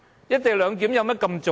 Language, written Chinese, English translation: Cantonese, "一地兩檢"有多重要？, How important is the co - location arrangement?